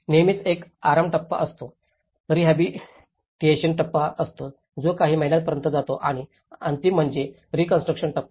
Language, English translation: Marathi, There is always a relief stage, there is a rehabilitation stage which goes for a few months and the final is the reconstruction stage